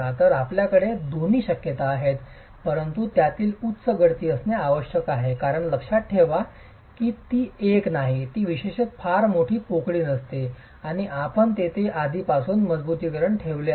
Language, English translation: Marathi, So, you have both these possibilities but it has to be high slump because mind you, it is not a, it is typically not a very large cavity and you've already put reinforcement there